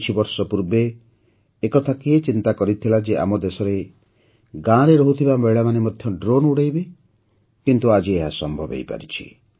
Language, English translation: Odia, Who would have thought till a few years ago that in our country, women living in villages too would fly drones